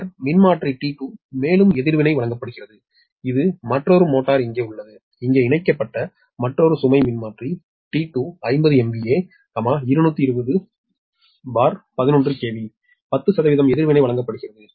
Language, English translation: Tamil, then transformer t two, also reactance given, and this is another one motor region, another load connected here, also right transformer t two, fifty m v a two, twenty upon eleven k v, ten percent reactance is given